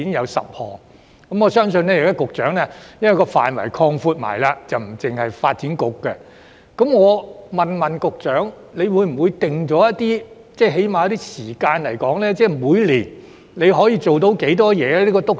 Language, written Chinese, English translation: Cantonese, 現時督導小組的職權範圍已擴闊至不僅包括發展局，局長會否為督導小組訂下時間表，例如每年處理多少項工作？, As the terms of reference of the Steering Group has now been expanded to include tasks involving other bureau other than DEVB will the Secretary formulate a timetable requiring the Steering Group to say complete a certain number of tasks each year?